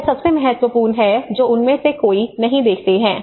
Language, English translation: Hindi, This is the most important which many of them does not look into it